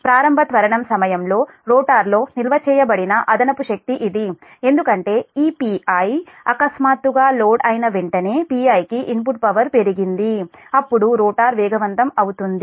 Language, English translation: Telugu, this is that excess energy stored in the rotor during the initial acceleration, because as soon as this p i suddenly load has increased input power, increase to p i, then rotor will start accelerating